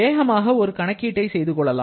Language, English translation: Tamil, Let us quickly do one calculation